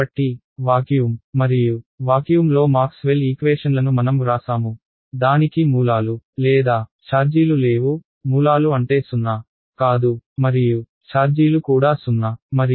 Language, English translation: Telugu, So, I have written down Maxwell’s equations in vacuum and vacuum which has no sources or charges, no sources means rho is 0, no and charges also 0 and current is also 0 right